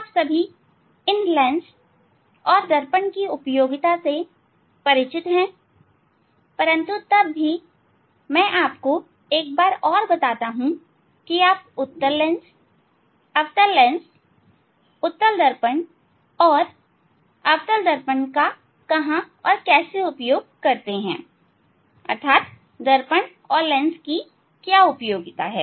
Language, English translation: Hindi, All of you are familiar with the application of this lens and mirror, but still let me tell you once more what the applications of the convex lens, concave lens, concave mirror, convex mirror are; application of mirror and Application of Mirrors and Lenses